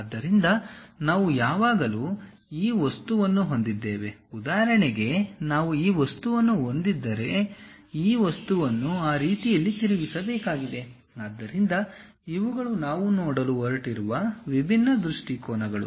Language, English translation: Kannada, So, we always have this object, for example, like if we have this object; we have to rotate this object in such a way that, different views we are going to see